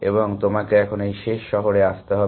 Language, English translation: Bengali, And you have to come to this last city here